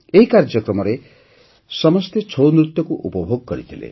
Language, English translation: Odia, Everyone enjoyed the 'Chhau' dance in this program